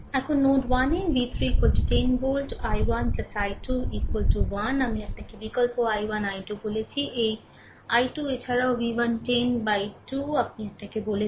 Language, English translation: Bengali, Now, v 3 is equal to 10 volt at node 1; i 1 plus i 2 is equal to 1, I told you substitute i 1, i 2; this i 2 also v 1 minus 10 by 2 I told you